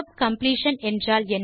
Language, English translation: Tamil, What is tab completion 5